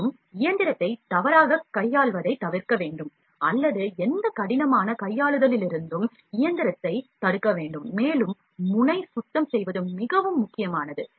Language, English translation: Tamil, And, we also need to avoid mishandling or prevent the machine from any rough handling, and the nozzle cleaning is very important